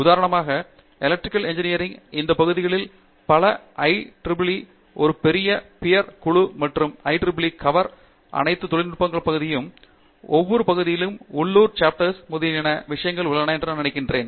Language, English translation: Tamil, For instance, in Electrical Engineering many of these areas IEEE is a big peer group and the technical societies of the IEEE cover almost all the areas of Engineering and I am sure every area has a similar things that are local chapters, etcetera